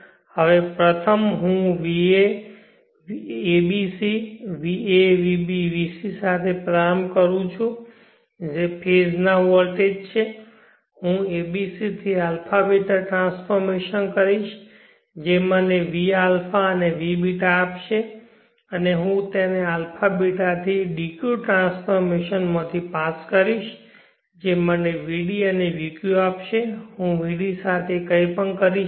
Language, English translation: Gujarati, Consider the phase voltages va vb vc I will pass it through a b c to a beeta transformation I will get v a v beeta, and I will pass that to a beeta to deuce transformation and I will get vd vq, now there is